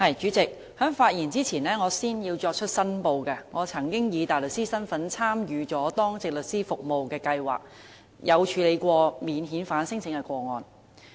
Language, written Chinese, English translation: Cantonese, 主席，在我發言之前，首先要作出申報，我曾經以大律師身份參與當值律師服務計劃，處理免遣返聲請的個案。, President before I speak I would like to declare that I once dealt with non - refoulement claims when participating in the Duty Lawyer Scheme DLS as a barrister